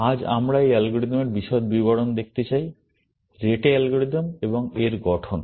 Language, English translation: Bengali, Today, we want to look at the details of this algorithm; the Rete algorithm and its structure